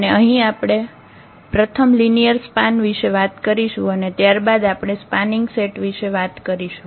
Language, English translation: Gujarati, And here we will be talking about the linear span first and then will be talking about spanning set